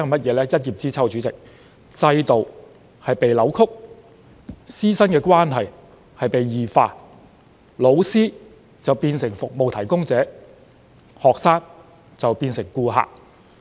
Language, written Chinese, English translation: Cantonese, 主席，一葉知秋，由此可見制度已被扭曲、師生關係已然異化，老師變成服務提供者，學生則是他們的顧客。, President this can best indicate that such mechanisms have already been distorted and teacher - student relationship has undergone abnormal changes with teachers turning into service providers who have to serve their clients ie